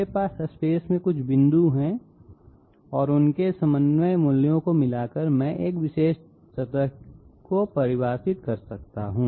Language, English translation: Hindi, I have some points in space and by mixing up their coordinate values I can define a particular surface